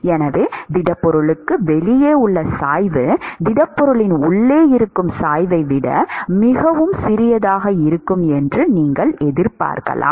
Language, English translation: Tamil, So, you would expect that the gradient outside the solid is going to be much smaller than the gradient inside the solid